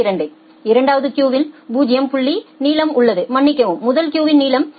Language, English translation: Tamil, 2, the second queue has a length of 0 point sorry the first queue has a length of 0